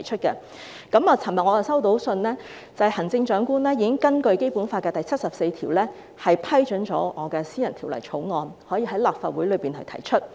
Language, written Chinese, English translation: Cantonese, 我昨天收到的信件表示，行政長官已根據《基本法》第七十四條，批准我的私人條例草案可以向立法會提出。, As stated by the letter received by me yesterday the Chief Executive has consented to the introduction of my private bill into the Legislative Council under Article 74 of the Basic Law